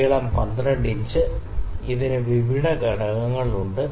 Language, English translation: Malayalam, The length is 12 inch; it is having various components